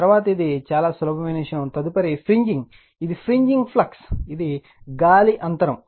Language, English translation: Telugu, Next is it is very simple thing next is fringing, it is fringing flux, which is air gap